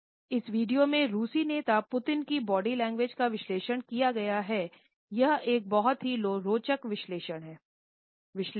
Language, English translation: Hindi, This video is analysed the body language of the Russian leader Putin and it is a very interesting analysis